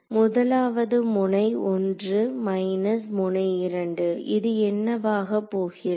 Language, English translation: Tamil, So, this is going to be at node 1 minus node 2 that is what it is going to be